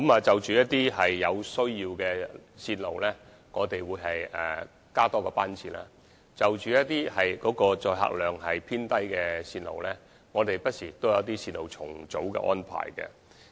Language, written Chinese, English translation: Cantonese, 就一些有需要的線路，我們會增加班次，而就一些載客量偏低的線路，我們不時會有重組線路的安排。, For those routes with demands we will increase their frequency whereas for routes with patronage on the low side we will make arrangements for realignment from time to time